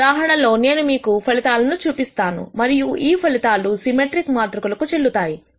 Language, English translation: Telugu, In this case, I am going to show you the result; and this result is valid for symmetric matrices